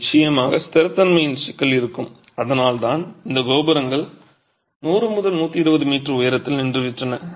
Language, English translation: Tamil, Of course there is going to be an issue of stability and that is the reason why these towers have stopped at 100, 120 meters in height